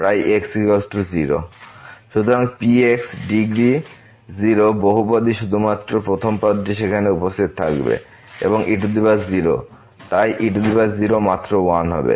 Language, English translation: Bengali, So, the the degree 0 polynomial only the first term will be present there and power 0, so power 0 will be just 1